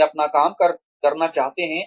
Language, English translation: Hindi, They want to do their work